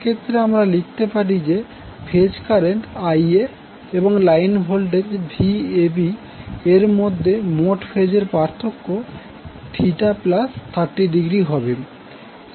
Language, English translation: Bengali, So in that case what we can write that the total phase difference between phase current Ia and the line voltage Vab will be Theta plus 30 degree